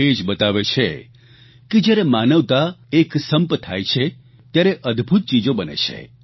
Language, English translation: Gujarati, This proves that when humanity stands together, it creates wonders